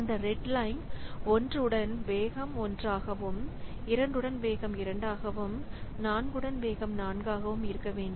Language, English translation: Tamil, So with one the speed up is one, with two the speed up should be two